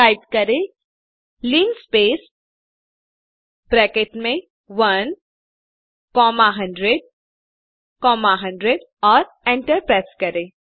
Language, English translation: Hindi, Type linspace within brackets 1 comma 100 comma 100 and hit enter